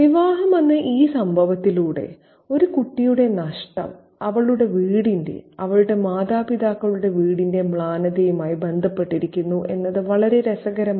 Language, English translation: Malayalam, It's very interesting to see that the loss of a child through this event of the marriage being associated with the darkness of her home, her parental home